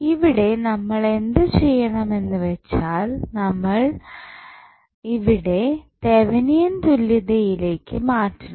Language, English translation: Malayalam, So, what we have to do we have to first find the Thevenin equivalent